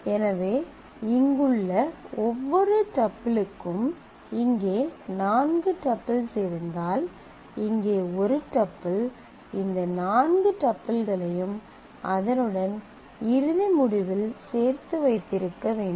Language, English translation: Tamil, So, for every tuple here if there are say four tuples here, a tuple here must have all these four tuples along with it in the result